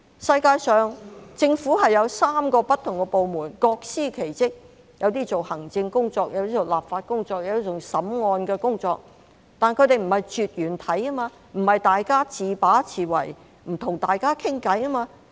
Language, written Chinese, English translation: Cantonese, 世界上，政府有3個不同的部門，各司其職，有些做行政工作，有些做立法工作，有些做審案的工作，但它們並不是絕緣體，不是大家自把自為，互不溝通。, In this world most governments are comprised of three different branches . Each branch will perform its own duty . One of them is responsible for executive administration another one is responsible for legislative work while the third one is responsible for dealing with court cases